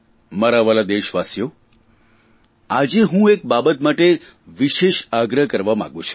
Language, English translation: Gujarati, My dear countrymen, today I want to make a special appeal for one thing